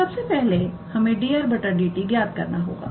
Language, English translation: Hindi, So, first of all we need to calculate dr dt